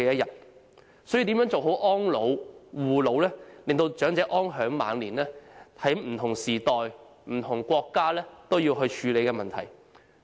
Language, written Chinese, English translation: Cantonese, 因此，如何做好安老、護老，讓長者安享晚年，是不同時代和不同國家也必須處理的問題。, Hence in different eras countries must deal with issues concerning elderly care and protection and consider how to ensure that the elderly can lead a peaceful life in their twilight years